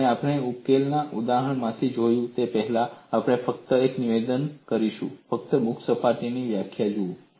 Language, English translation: Gujarati, And before we look at from a solving an example, we would just make a statement, what is a definition of free surface